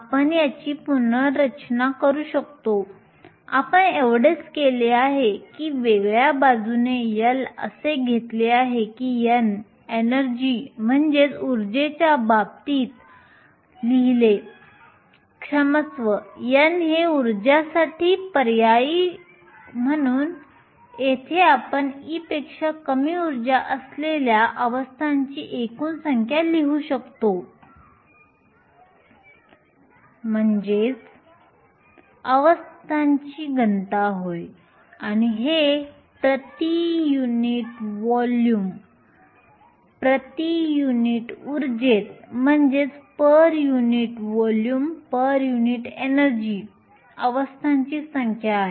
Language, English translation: Marathi, We can rearrange this; all you have done is to take L all the other terms this side and write n in terms of energy sorry this should be n write n terms of energy substituting for the n here we can write the total number of the states with energy less than e is nothing but now the density of states says is the number of states per unit volume per unit energy